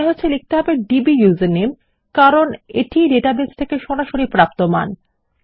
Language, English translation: Bengali, I think I will say dbusername because thats a more direct value from the database